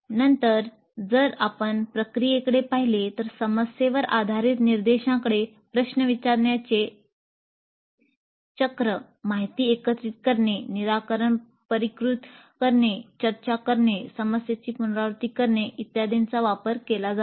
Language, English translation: Marathi, Then if you look at the process the problem based approach to instruction uses cycle of asking questions, information gathering, refining the solution, discussion, revisiting the problem and so on